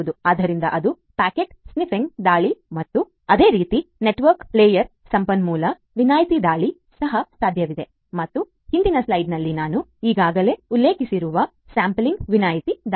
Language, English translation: Kannada, So, that is the packet sniffing attack and similarly resource exemption attack at the network layer is also possible and resource exemption attack I have already mentioned in the previous slide